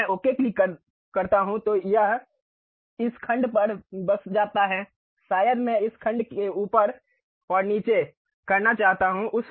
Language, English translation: Hindi, If I click Ok it settles at this section, perhaps I would like to really make this section up and down